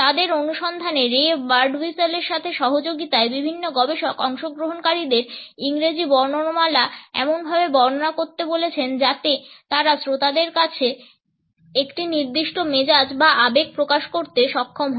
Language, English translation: Bengali, In their findings, in association with ray Birdwhistle, various researchers asked participants to recite the English alphabet in such a way that they are able to project a certain mood or emotion to the listener